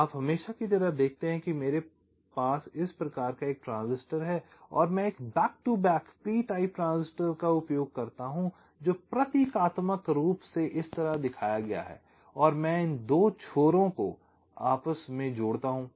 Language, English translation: Hindi, you see, just as usual, i have a, this kind of a n type transistor, and i use another back to back p type transistor, symbolically shown like this, and i connect these two ends